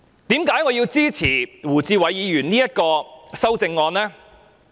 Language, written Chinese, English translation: Cantonese, 為何我要支持胡志偉議員的修正案呢？, What are the justifications for supporting Mr WU Chi - wais amendment?